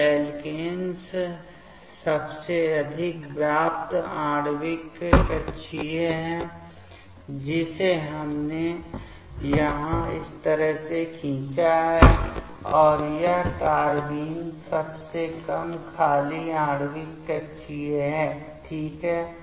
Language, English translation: Hindi, So, alkenes highest occupied molecular orbital is this we have drawn over here like this way, and this is the carbenes lowest unoccupied molecular orbital ok